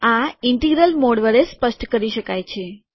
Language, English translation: Gujarati, This can be illustrated with the integral mode